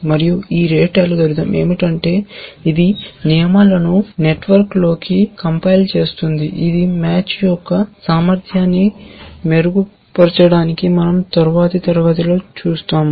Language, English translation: Telugu, And what this rete algorithm does is to, it compiles the rules into a network which we will see in the next class to improve upon the efficiency of match